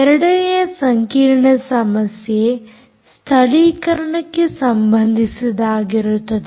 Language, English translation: Kannada, the second hard problem is related to localization